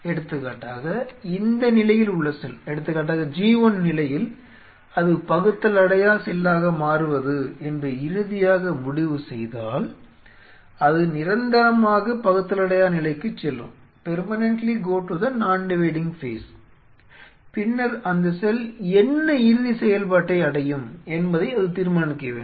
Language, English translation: Tamil, If cell at this stage say for example, at G 1 phase out here decides to finally, land up that it will become non dividing it will permanently go to the non dividing phase, then it has to decide what final function it will attain what does that mean